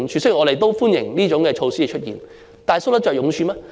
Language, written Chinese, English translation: Cantonese, 雖然我們歡迎這些措施，但它們搔得着癢處嗎？, Although we welcome these measures can they address the core of the problem?